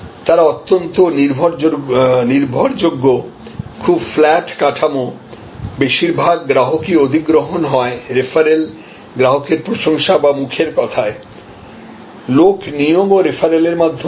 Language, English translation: Bengali, So, they are highly reliable, very flat structure, mostly a customer acquisition is through referrals and customer advocacy, word of mouth, recruitment of people are also through referrals